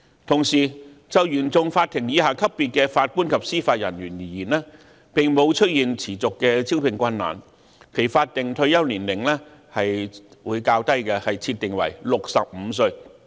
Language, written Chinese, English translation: Cantonese, 同時，就原訟法庭以下級別的法官及司法人員而言，並沒有出現持續的招聘困難，因此其法定退休年齡會設定為較低的65歲。, Meanwhile no persistent recruitment difficulties have been observed for JJOs below the CFI level thus a lower retirement age of 65 will be set for them